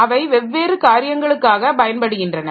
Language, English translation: Tamil, So, they are used for different purposes